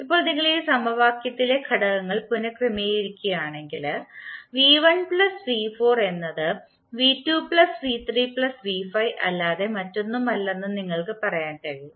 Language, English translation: Malayalam, Now if you rearrange the elements in this equation then we can say that v¬1¬ plus v¬4¬ is nothing but v¬2 ¬plus v¬3¬ plus v¬5 ¬